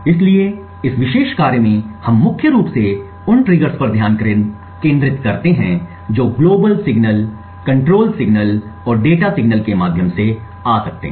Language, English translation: Hindi, So, in this particular work we focus mainly on the triggers that could come through the global signals the control signals and the data signals